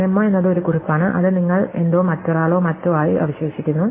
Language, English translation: Malayalam, So, memo is a note which remains you are something are remains somebody else or something